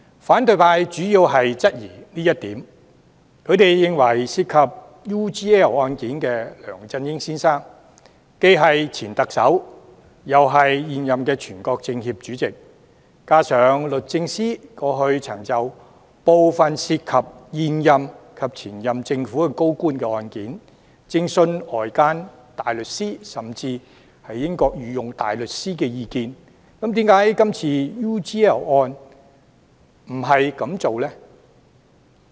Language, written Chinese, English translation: Cantonese, 反對派主要質疑這一點，認為涉及 UGL 案件的梁振英先生，既是前特首，又是現任全國政協副主席，加上律政司過往曾就部分涉及現任及前任政府高官的案件，徵詢外間大律師、甚至是英國御用大律師的意見，那麼為何這次就 UGL 案又不這樣做呢？, Mr LEUNG Chun - ying who is involved in the UGL case is a former Chief Executive and an incumbent Vice - Chairman of the National Committee of the Chinese Peoples Political Consultative Conference . On top of this DoJ has sought advice from outside barristers or even Queens Counsels in the United Kingdom in relation to some cases involving incumbent or former senior government officials . So why does DoJ not do this in the UGL case in question?